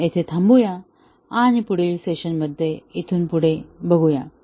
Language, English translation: Marathi, We will stop here and we will continue from this point, in the next session